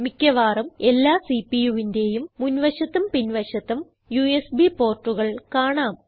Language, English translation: Malayalam, In most of the CPUs, there are some USB ports in the front and some at the back